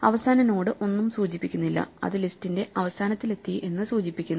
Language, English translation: Malayalam, The final node points to nothing and that indicates we have reached the end of the list